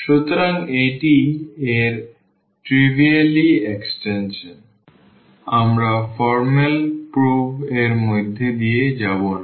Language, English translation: Bengali, So, that is the trivial extension of this we will not go through the formal prove